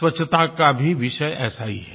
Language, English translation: Hindi, Cleanliness is also similar to this